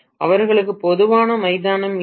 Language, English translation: Tamil, They do not have a common ground